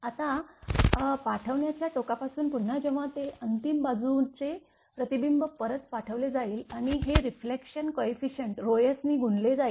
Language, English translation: Marathi, Now, from the sending end when again it will be reflected back sending end side reflection coefficient rho s, with this rho s will be multiplied